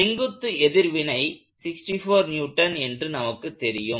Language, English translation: Tamil, So, we know that the normal reaction is 64 Newtons